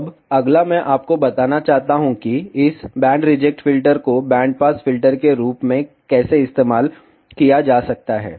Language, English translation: Hindi, Now, next I want to tell you, how this band reject filter can be used as a band pass filter